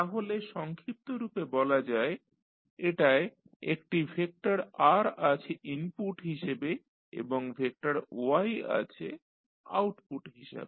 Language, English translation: Bengali, So, in short you can say that it has a vector R as an input and vector Y as an output